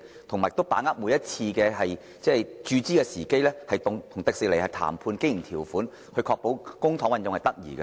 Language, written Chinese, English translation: Cantonese, 政府亦應把握每次注資的時機，與迪士尼談判經營條款，確保公帑運用得宜。, The Government should also grasp the opportunity of each capital injection to negotiate with TWDC the terms of operation so as to ensure proper use of public money